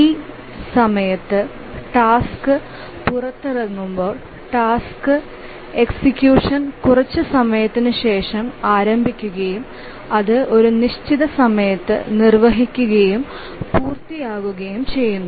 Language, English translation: Malayalam, So as the task is released at time T, the task execution starts after some time and then it executes and completes at certain time